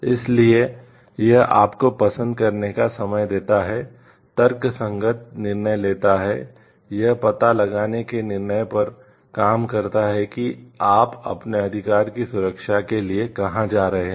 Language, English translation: Hindi, So, it gives you a time to like, take a rational decision, work on a decision to find out like, where you are going to seek for the protection of your right